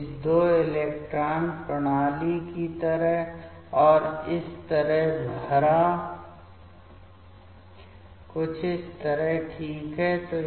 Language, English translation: Hindi, So, like this π2 electron system so and filled up like this, something like this ok